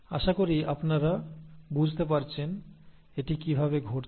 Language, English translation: Bengali, I hope you have understood how this is happening